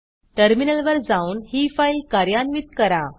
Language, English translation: Marathi, Run this file by going to the Terminal